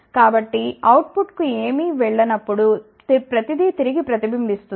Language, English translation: Telugu, And, if everything is going to the output nothing reflects back